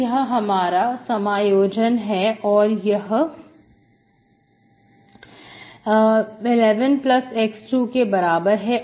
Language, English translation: Hindi, So this is the integration, this is equal to 1 by 1 plus x square